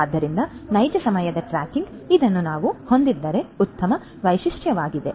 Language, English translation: Kannada, So, real time tracking if we can have this would be a good feature